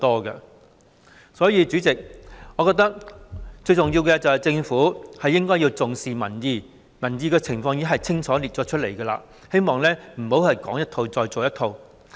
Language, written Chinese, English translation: Cantonese, 代理主席，所以，我認為最重要的是，政府應該重視民意，而民意亦已在報告中清楚列出，我希望政府不要再說一套，做一套。, Deputy President in view of this I believe the most important thing is that the Government should value the public opinion which has been set out clearly in the report . I hope the Government will be true to its word